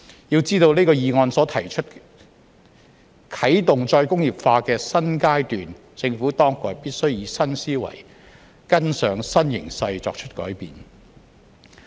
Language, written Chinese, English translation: Cantonese, 要知道這項議案所提出"啟動"再工業化的"新階段"，政府當局必須以新思維、跟上新形勢作出改變。, In order to commence a new phase in re - industrialization as put forward in this motion the authorities have to be innovative in their thinking and make changes to keep abreast of new trends